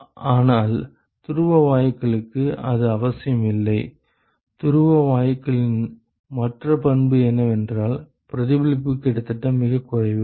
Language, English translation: Tamil, But for polar gases, that is not necessarily the case; the other property of polar gases is, that the reflectivity is almost negligible